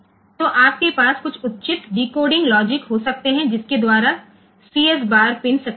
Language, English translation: Gujarati, So, you can have some appropriate decoding logic by which the CS bar pin will be activated